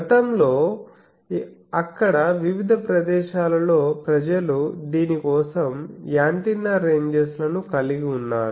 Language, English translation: Telugu, it is very difficult to get these, previously there where in various places people used to have antenna ranges for this